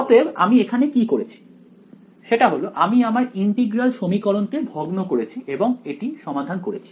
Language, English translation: Bengali, So, what we did over here was, essentially we discretized the integral equation and solved it right